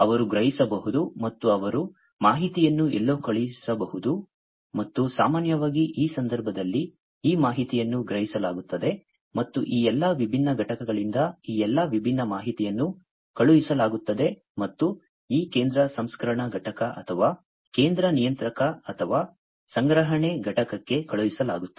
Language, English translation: Kannada, They can sense and they can send the information to somewhere, right and typically in this case this information is sense, sensed and sent all these different, information from all these different units are going to be sensed and sent to this central processing unit or central controller or the storage unit, over here